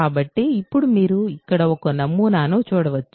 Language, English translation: Telugu, So, now you might see a pattern here